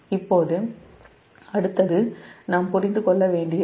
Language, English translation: Tamil, now next one is little bit we have to understand